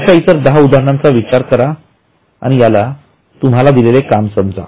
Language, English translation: Marathi, Think of another 10 examples and I think you can include it in your assignment